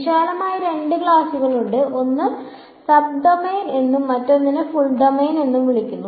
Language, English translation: Malayalam, There are broadly two classes one are called sub domain and the other are called full domain